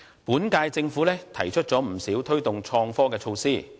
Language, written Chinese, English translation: Cantonese, 本屆政府提出不少推動創科的措施。, The incumbent Government has put forth quite a number of measures to promote IT